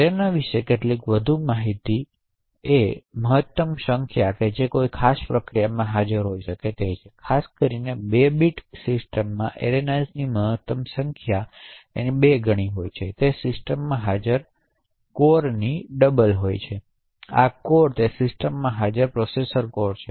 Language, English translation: Gujarati, there is a maximum number of arenas that can be present in a particular process typically in a 32 bit system the maximum number of arenas present is 2 times the number of cores present in that system, so these cores are the processor cores present in that system